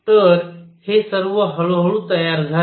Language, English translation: Marathi, So, all this built up slowly